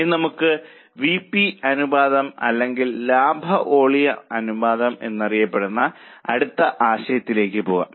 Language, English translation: Malayalam, Now let us go to the next concept that is known as p fee ratio or profit volume ratio